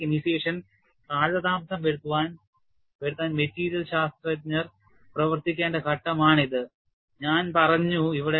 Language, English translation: Malayalam, I said, this is the phase where material scientists have to work to delay the crack initiation